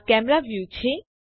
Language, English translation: Gujarati, This is the Camera View